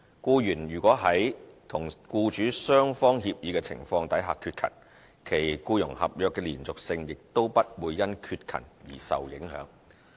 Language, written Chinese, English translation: Cantonese, 僱員如在與僱主雙方協議的情況下缺勤，其僱傭合約的連續性亦不會因缺勤而受影響。, Employees absent from work under mutual agreement with their employers would not have the continuity of their employment contracts affected by the absence